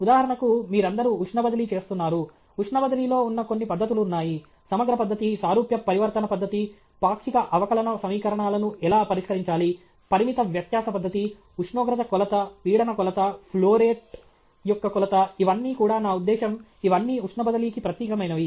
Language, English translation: Telugu, For example, all of you are doing heat transfer; there are certain techniques which are in heat transfer the integral method, similarity transformation method okay, how to solve partial differential equations, finite difference method okay, measurement of temperature, measurement of pressure, measurement of flowrate also, these are all, I mean, these are all specific to heat transfer